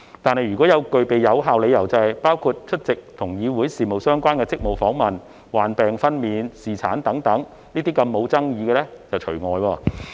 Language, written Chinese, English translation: Cantonese, 不過，若具備有效理由，包括出席與議會事務相關的職務訪問、患病、分娩及侍產等沒有爭議的理由則除外。, However absence with valid and uncontroversial reasons such as Council business - related duty visits illness maternity and paternity will be exempted